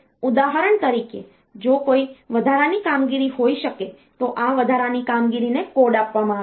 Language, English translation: Gujarati, For example, if there may be an addition operation this addition operation is given a code